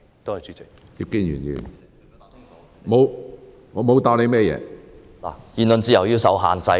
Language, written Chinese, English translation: Cantonese, 局長剛才答覆時表示，言論自由要受到限制......, The Secretary stated in his earlier reply that freedom of speech should be subject to restrictions